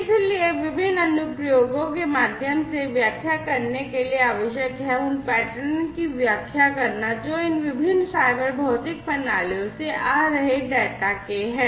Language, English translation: Hindi, So, what is required is to interpret through different applications, it is required to interpret the patterns that are there, out of the data that are coming from these different cyber physical systems